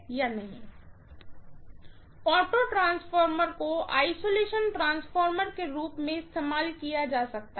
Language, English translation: Hindi, Auto transformer cannot be used as an isolation transformer